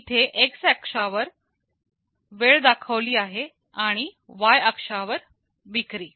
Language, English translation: Marathi, Here the x axis shows the time and y axis shows the sales